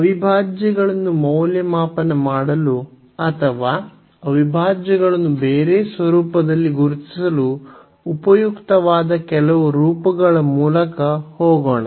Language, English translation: Kannada, So, let us just go through some forms that could be useful to evaluate the integrals or to recognize integrals in a different format